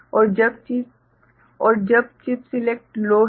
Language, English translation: Hindi, And when chip select is low